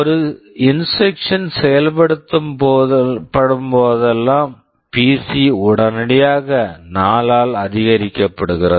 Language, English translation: Tamil, Whenever an instruction is executed PC is immediately incremented by 4